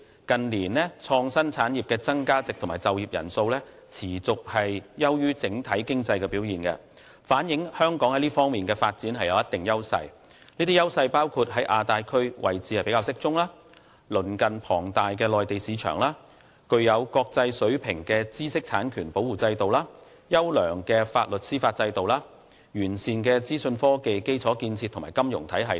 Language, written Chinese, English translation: Cantonese, 近年創新產業的增長值和就業人數的增長均持續優於整體經濟表現，反映香港在這方面的發展具有一定優勢，包括在亞太區位置比較適中、鄰近龐大的內地市場、具國際水平的知識產權保護制度、優良的法律和司法制度，以及完善的資訊科技基礎建設和金融體系等。, The growth rate and employment rate of the IT industry have consistently outperformed the overall economy in recent years showing that Hong Kong has considerable edges in developing IT its good location in the Asia - Pacific region proximity to the enormous Mainland market world - class intellectual property protection regime sound legal and judiciary system and comprehensive IT infrastructure and financial system